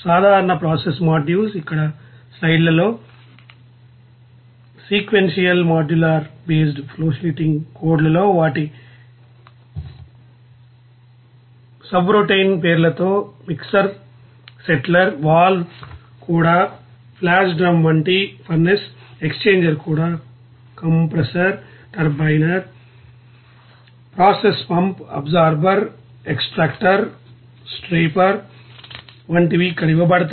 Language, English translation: Telugu, Typical process modules are given in the slides here in sequential modular base flowsheeting codes with their subroutine names here like mixer you know splitter, valve even flash drum when you will see that are furnace, exchanger even compressor, turbine, process pump, absorber, extractor, striper